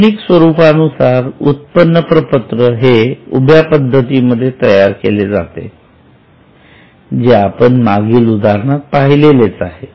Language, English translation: Marathi, More modern format is making an income statement in the vertical form which we had already seen in the last case